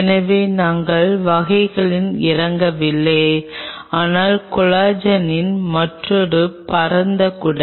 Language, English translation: Tamil, So, we are not getting into the types, but another broad umbrella of collagen